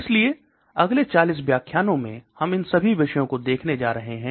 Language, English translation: Hindi, So in the next 40 lectures, we are going to look at all these topics